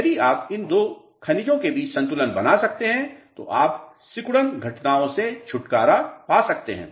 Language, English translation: Hindi, If you can balance between these two minerals then you can get rid of shrinkage phenomena